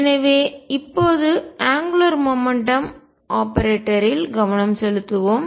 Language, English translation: Tamil, So, let us now focus on the angular momentum operator